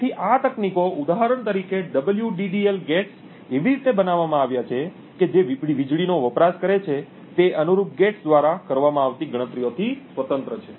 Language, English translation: Gujarati, So, these techniques for example the WDDL gates would are built in such a way so that the power consumed is independent of the computations that are performed by the corresponding gates